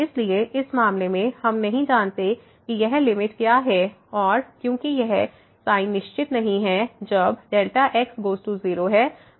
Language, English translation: Hindi, So, in this case here we do not know what is this limit because the sin is not definite when this delta goes to 0